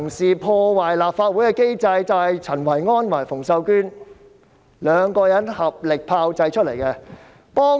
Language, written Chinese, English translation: Cantonese, 所以，破壞立法會機制的人就是陳維安和馮秀娟兩人，由他們合力炮製而想出來的辦法。, Therefore Kenneth CHEN and Connie FUNG are the ones who have jointly worked out some means to destroy the system of the Legislative Council